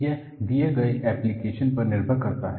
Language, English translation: Hindi, So, it depends on the given application